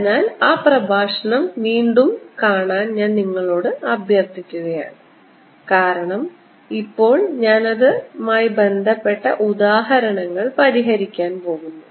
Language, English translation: Malayalam, so i would request you to go and look at that lecture again, because now i am going to solve examples